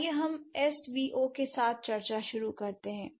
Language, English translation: Hindi, Let's begin with the discussion with S V O